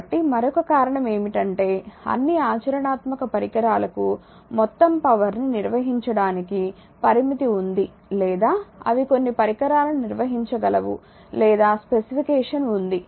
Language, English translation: Telugu, So, another reason is that all practical devices have limitation on the amount of power that they can handle just some devices or specification is there